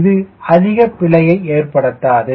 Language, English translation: Tamil, it doesnt make much of an error